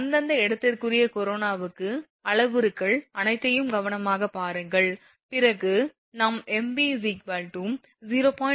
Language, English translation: Tamil, For local corona look at the parameters carefully everything then we will answer mv is 0